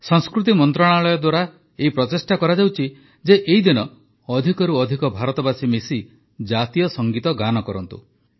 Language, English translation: Odia, It's an effort on part of the Ministry of Culture to have maximum number of Indians sing the National Anthem together